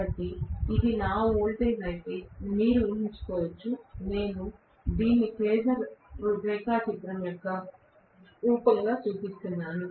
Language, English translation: Telugu, So you can imagine if this is my voltage, I am just showing this as a form of phasor diagram